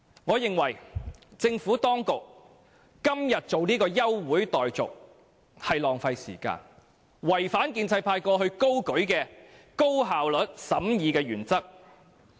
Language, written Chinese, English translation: Cantonese, 我認為，政府當局今天提出休會待續的議案是浪費時間，違反建制派過往高舉的高效率審議法案的原則。, In my view it is a waste of time for the Administration to move an adjournment motion today . It is acting against the principle of effective scrutiny of bills advocated by pro - establishment Members in the past